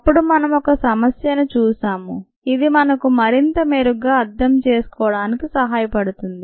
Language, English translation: Telugu, and then we looked at ah problem ah, which could ah help us understand the this a little better